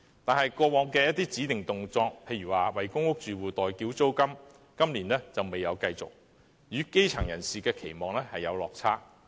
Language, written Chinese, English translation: Cantonese, 但是，過往一些指定動作，例如為公屋住戶代繳租金今年卻未有繼續，與基層人士的期望有落差。, However such past rituals as rent payment for public housing tenants did not continue this year falling short of the grass roots expectations